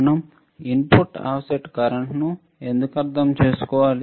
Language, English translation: Telugu, Why we need to understand input offset current